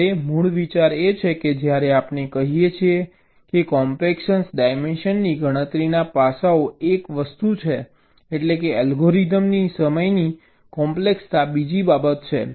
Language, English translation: Gujarati, now, the basic idea is that when we say aspects of computing, of compaction, dimension is one thing and, of course, the time complexity of the algorithm is another thing